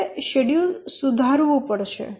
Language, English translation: Gujarati, We need to redo the schedule